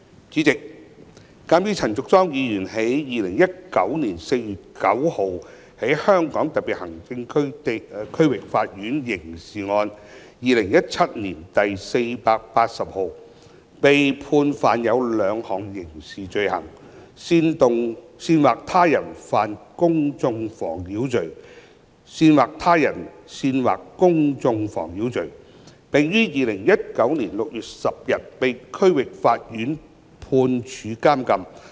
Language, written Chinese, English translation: Cantonese, 主席，鑒於陳淑莊議員於2019年4月9日在香港特別行政區區域法院刑事案件2017年第480號，被判犯有兩項刑事罪行，包括煽惑他人犯公眾妨擾罪及煽惑他人煽惑公眾妨擾罪，並於2019年6月10日被區域法院判處監禁。, President Ms Tanya CHAN was convicted on 9 April 2019 in the Criminal Case No . 480 of 2017 in the District Court in the Hong Kong Special Administrative Region of two criminal offences including incitement to commit public nuisance and incitement to incite public nuisance and was sentenced on 10 June 2019 by the District Court to imprisonment